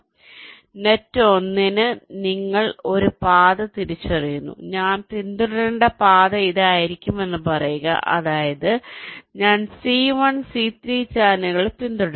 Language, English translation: Malayalam, let say the path i follow will be this, which means i will be following the channels c one, c three